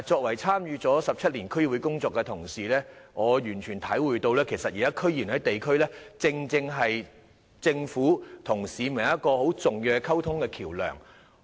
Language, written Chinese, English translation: Cantonese, 我參與區議會工作17年，我完全體會到現時區議員在地區上，是政府與市民之間很重要的溝通橋樑。, Having been engaged in DC work for 17 years I fully understand that DC members currently serve in the districts as an important bridge of communication between the Government and members of the public